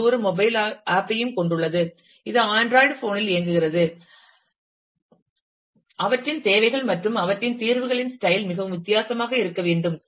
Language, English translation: Tamil, And it is also having a mobile app, which runs on say the android phone then, the their requirements and their style of solutions will have to be very, very different